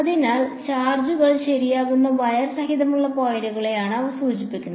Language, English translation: Malayalam, So, those refer to the points along the wire where the charges are right